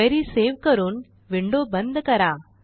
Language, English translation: Marathi, Let us now save the query and close the window